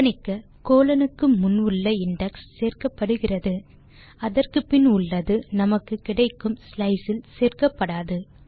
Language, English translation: Tamil, Note that, the index before the colon is included and the index after it is not included in the slice that we have obtained